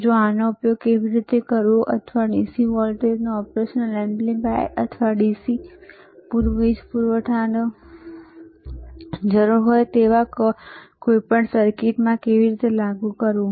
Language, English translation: Gujarati, hHowever, how to you how to actually not is how to use this or how to apply this DC voltage to the operational amplifiers, or to any any circuit which requires the DC power supply